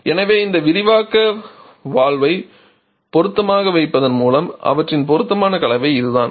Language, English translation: Tamil, So, this is just by placing this expansion valve suitably and by their suitable combination that is all